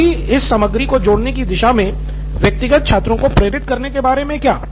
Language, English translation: Hindi, Then what about motivation from individual students towards adding this content